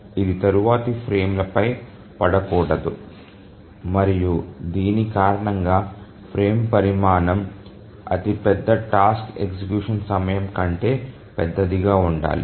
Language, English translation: Telugu, And that's the reason a frame size should be larger than the largest task execution time